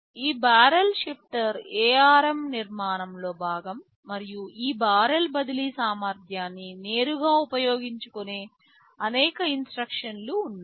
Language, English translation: Telugu, TSo, this barrel shifter is part of the ARM architecture and there are many instructions which directly utilize this barrel shifting capability